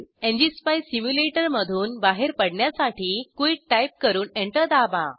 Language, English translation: Marathi, Quit the ngspice simulator by typing quit and press enter